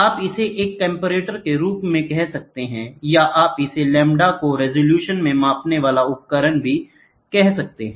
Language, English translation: Hindi, You can call it as a comparator or you can also call it as a measuring device at the resolutions of lambdas